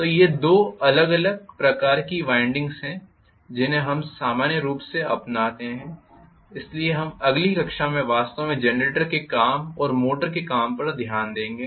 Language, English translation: Hindi, So these are the two different types of windings normally we adopt so we will look at actually the working of the generator and the working of the motor in the next class